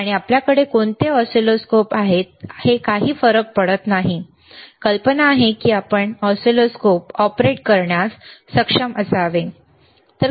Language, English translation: Marathi, aAnd it does not matter what oscilloscopes you have, the idea is you should be able to operate the oscilloscopes, all right